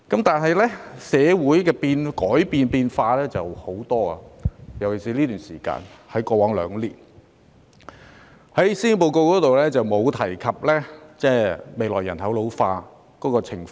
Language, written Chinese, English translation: Cantonese, 但是，社會不斷改變——尤其是過往兩年——施政報告沒有提及未來人口老化的情況。, Nonetheless our society keeps changing―especially in the past two years―and the Policy Address makes no mention of ageing population in the future